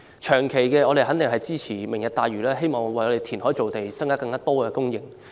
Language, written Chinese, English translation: Cantonese, 長期的措施，肯定是支持"明日大嶼"，希望為香港填海造地，增加土地供應。, Regarding long - term measures we would certainly support Lantau Tomorrow in the hope that land can be created for Hong Kong through reclamation to increase land supply